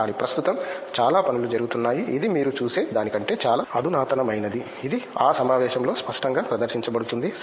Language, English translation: Telugu, But then there is lot of work that is going on currently which is fair more advanced than what you see, which is clearly exhibited in that conference